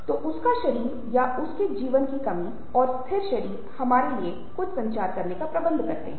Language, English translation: Hindi, so his body or his lack of life and the static body does manage to communicate something to us